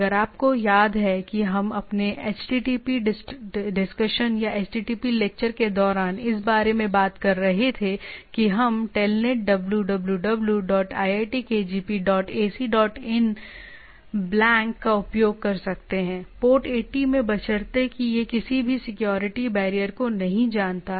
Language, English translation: Hindi, If you remember we were talking about that during our HTTP discussion or HTTP lecture, that we can use Telnet like Telnet www dot iitkgp dot ac dot in blank, 80 provided that is not knows any security barrier